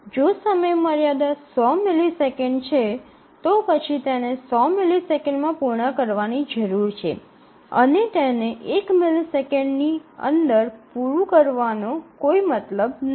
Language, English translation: Gujarati, If the deadline is 100 millisecond then it needs to complete by 100 millisecond and there is no reward if it completes in 1 millisecond let us say